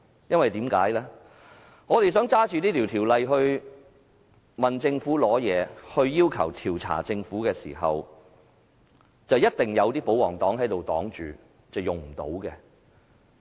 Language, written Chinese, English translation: Cantonese, 當我們想引用這條例質問政府，並要求調查政府時，一定會有保皇黨議員阻擋，令我們無計可施。, Whenever we wish to invoke the Ordinance to question and investigate the Government we are always blocked by the royalists rendering it impossible for us to proceed our plan